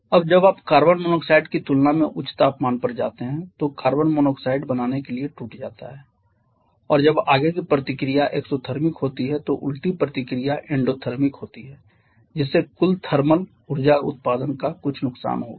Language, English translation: Hindi, Now when you go to high temperature than carbon dioxide breaks back to form carbon monoxide and when the forward reaction is exothermic the reverse reaction is endothermic so that will lead to some loss of total thermal energy production